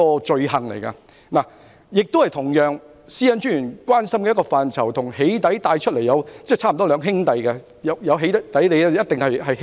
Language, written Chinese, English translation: Cantonese, 這同樣是專員關心的範疇，與"起底"差不多是兩兄弟，"起底"的同時一定會出現欺凌。, This is also a cause of concern to the Commissioner as it is almost a brother to doxxing where there is doxxing it is certain that bullying will occur concurrently